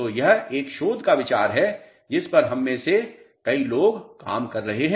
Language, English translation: Hindi, So, it is a research idea on which many of us are working